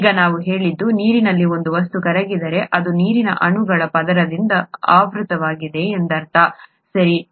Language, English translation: Kannada, Now we said that if a substance dissolves in water, it means that it is surrounded by a layer of water molecules, okay